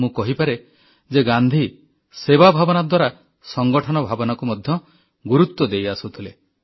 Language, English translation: Odia, I can say that Gandhi emphasized on the spirit of collectiveness through a sense of service